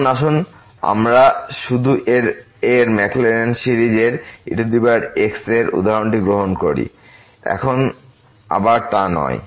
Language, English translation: Bengali, Now, let us just take this example of the Maclaurin series of power now again not that